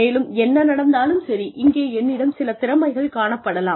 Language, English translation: Tamil, And, whatever happens, I may have some skills here